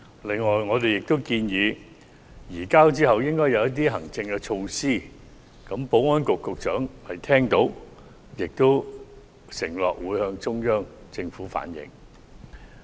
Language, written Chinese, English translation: Cantonese, 此外，我們亦建議在移交後採取一些行政措施，保安局局長已聽取意見，並承諾會向中央政府反映。, In addition we also propose that certain administrative measures must be taken after the surrender . The Secretary for Security has taken heed of our advice and undertakes to relay it to the Central Government